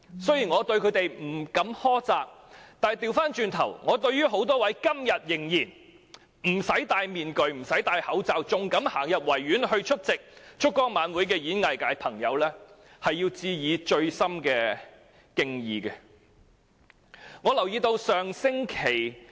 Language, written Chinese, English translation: Cantonese, 雖然我不會苛責他們，但對於多位今天仍然選擇不帶面具和口罩，仍然願意走進維園出席燭光晚會的演藝界朋友，我要致以深切的敬意。, Although I will not blame them I will express my deep respect for those in show business who still prefer not wearing masks or face masks and are still willing to go to the Victoria Park to attend the candlelight vigil